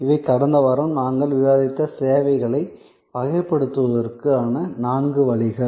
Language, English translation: Tamil, So, these are four ways of classifying services that we discussed last week